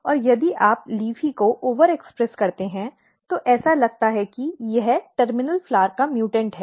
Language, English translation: Hindi, And another thing what you look if you over express LEAFY it looks like that it is mutant of terminal flower